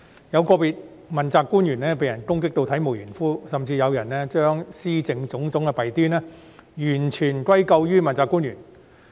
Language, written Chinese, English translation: Cantonese, 有個別問責官員被人攻擊至體無完膚，甚至有人將施政的種種弊端完全歸咎於問責官員。, Certain individual accountability officials have been attacked black and blue and some people have even ascribed all policy blunders to accountability officials